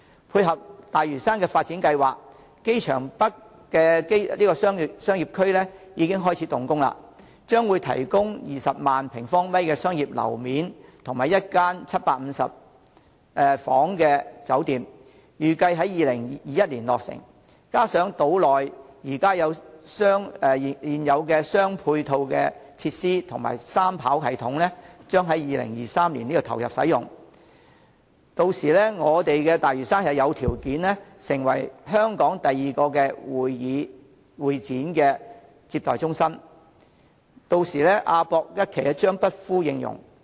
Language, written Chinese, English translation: Cantonese, 配合大嶼山發展計劃，機場北商業區已經開始動工，將會提供20萬平方米商業樓面及一間有750間客房的酒店，預計在2021年落成，加上島內現有的配套設施及三跑道系統將於2023年投入使用，大嶼山有條件成為香港第二個會展接待中心，屆時亞博館一期將不敷應用。, To dovetail with the development plan for Lantau works have already been commenced for the Airports North Commercial District which will provide 200 000 sq m of commercial floor area and a 750 - room hotel to be commissioned in 2021 . In view of the existing ancillary facilities on the island and the commissioning of a three - runway system in 2023 Lantau has the conditions for becoming the second convention exhibition and reception centre in Hong Kong and by then AWE Phase I will be unable to cater for demand